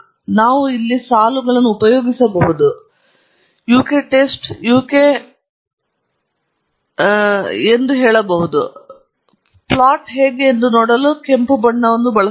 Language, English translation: Kannada, We can use here lines and say uk test, yk hat 3, and we can use a red color to see how the plot is